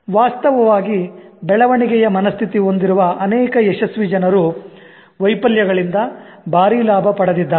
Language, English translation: Kannada, In fact, many successful people with growth mindset have hugely benefited from failures